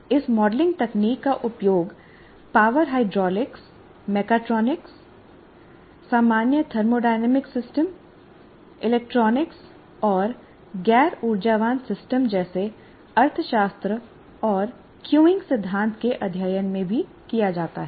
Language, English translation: Hindi, This modeling technique is used in studying power hydraulics, mechatronics, general thermodynamic systems, electronics, non energy systems like economics and queuing theory as well